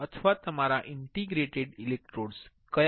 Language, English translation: Gujarati, Now, I have interdigitated electrodes